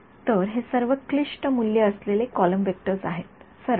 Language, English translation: Marathi, So, all of these are complex valued column vectors, straightforward